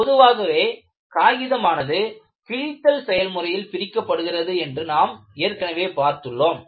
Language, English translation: Tamil, And, we have already seen, paper is usually separated by a tearing action